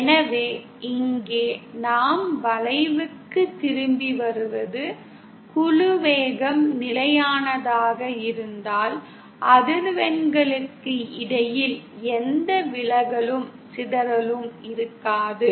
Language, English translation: Tamil, So coming back to our curve here, if the group velocity is constant, then there will be no distortion or dispersion between frequencies